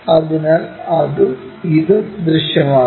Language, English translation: Malayalam, So, that and this one will be visible